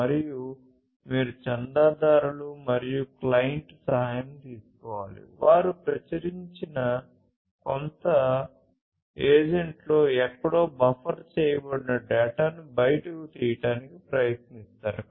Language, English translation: Telugu, And, you need to take help of the subscribers, the clients etc who will try to pull the data out of the published data that is buffered somewhere in some agent